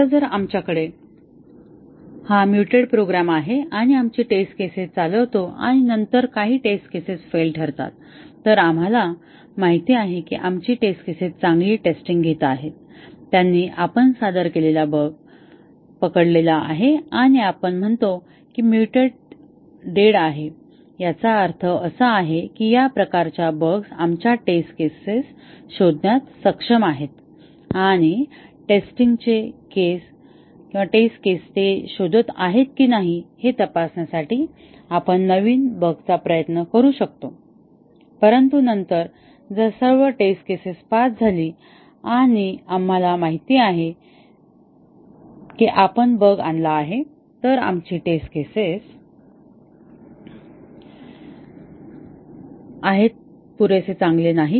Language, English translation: Marathi, Now, if we have this mutated program and we run our test cases and then, some test cases fail, then we know that our test cases are actually testing well, they have caught the bug we introduced and we say that the mutant is dead, that means these type of bugs our test cases is able to detect and we might try new bugs to check whether the test cases are detecting those, but then if all test cases pass and we know that we introduced a bug, then our test cases are not good enough